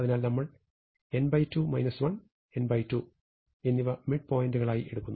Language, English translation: Malayalam, So, we take n by 2 minus 1 and n by 2 as the midpoint